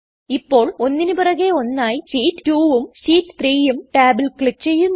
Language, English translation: Malayalam, Now click on the Sheet 2 and the Sheet 3 tab one after the other